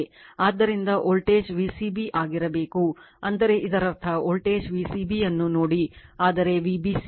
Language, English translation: Kannada, So, voltage should be V c b it means it is see the voltage V c b, but not V b c right